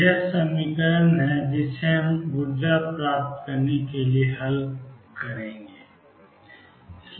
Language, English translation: Hindi, This is the equation that we have to solve to get the energies